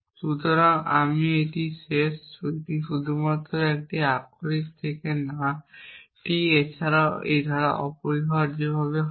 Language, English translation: Bengali, So, we end this, this is just a literal from not T is also clause essentially